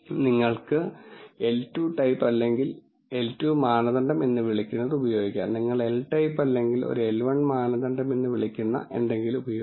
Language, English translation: Malayalam, You can use this is what is called the L 2 type or L 2 norm you can also use something called an L type or 1 an L 1 norm